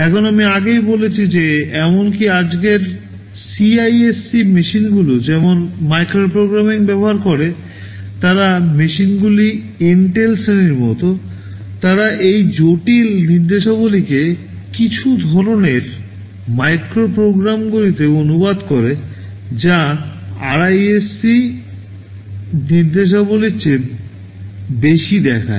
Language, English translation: Bengali, Now I told earlier that even the CISC machines of today like the Intel class of machines they use micro programming, they translate those complex instructions into some kind of micro programs simpler instructions whichthat look more like the RISC instructions